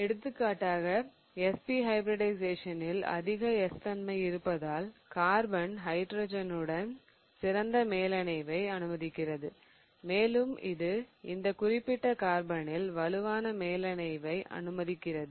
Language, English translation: Tamil, So, for example, having more as character in SP hybridization allows that carbon to have a better overlap with the hydrogen and also it allows that particular carbon to have a stronger overlap